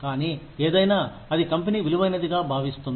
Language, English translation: Telugu, But, anything that, the company considers valuable